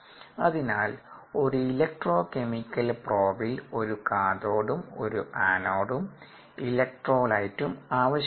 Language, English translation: Malayalam, so you need a cathode and an anode and an electrolyte